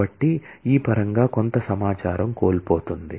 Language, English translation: Telugu, So, there is some loss of information in terms of this